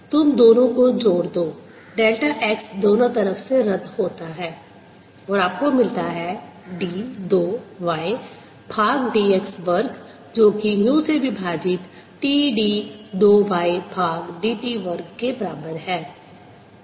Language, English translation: Hindi, you combine the two delta x cancels from both sides and you get d two y by d x square is equal to mu over t